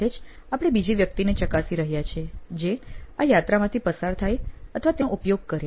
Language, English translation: Gujarati, As well as we are looking at examining another person who could probably using this or going through this journey